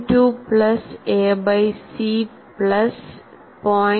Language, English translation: Malayalam, 2 plus a by c, plus 0